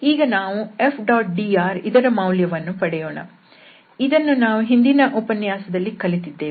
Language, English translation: Kannada, And now we can evaluate this F dot dr which we have already learned in the previous lecture